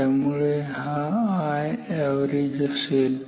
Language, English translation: Marathi, So, this is I average